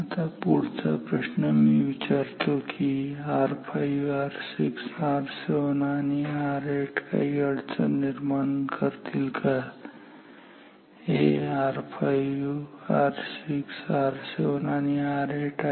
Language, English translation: Marathi, Now the next question I will ask I will ask this question to you does or do R 5 R 6 R 7 and R 8 create any problem; these R 5 R 6 R 7 and R 8